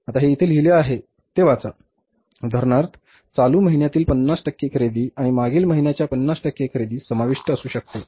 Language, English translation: Marathi, For example, 50% of the current month's purchases and 50% of the previous month's purchases may be included